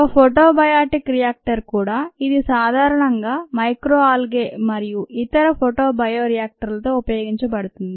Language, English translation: Telugu, then also a photo bioreactor that's typically used with micro algae and other photosynthetic organisms